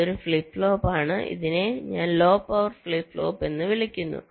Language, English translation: Malayalam, so this is a flip flop which i call a low power flip flop